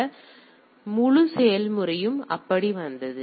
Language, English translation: Tamil, So, the whole process came up like that